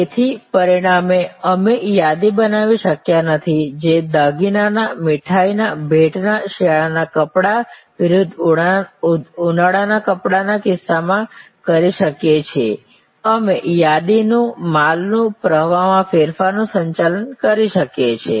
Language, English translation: Gujarati, So, as a result we cannot create inventory, which we can do in case of jewelry, which we can do in case of sweets, incase of gifts, in case of winter clothes versus summer clothes, we can manage our inventory, our stock to manage the variation in the flow